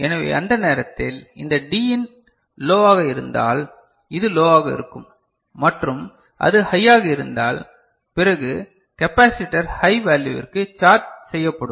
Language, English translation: Tamil, So, at that time this Din if it is low, so it will be low and if it is high then capacitor will be charged to high value